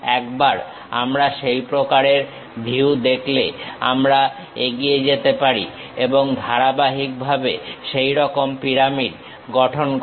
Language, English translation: Bengali, Once we have that kind of view visualization we can go ahead and systematically construct such pyramid